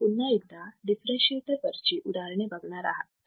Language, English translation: Marathi, You will once again see how we can solve the problem for a differentiator